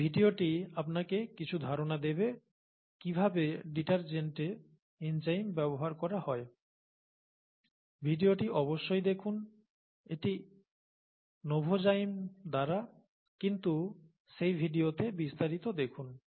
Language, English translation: Bengali, So this video gives you some idea as to how enzymes are used in detergents, please take a look at this video, it’s by novozymes but look at the the details in that video